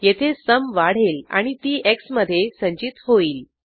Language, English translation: Marathi, Here sum is incremented and stored in x